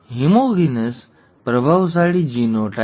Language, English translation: Gujarati, Homozygous dominant genotype